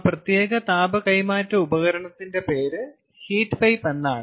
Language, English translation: Malayalam, ah, the name of that special heat transfer device or heat exchange device is heat pipe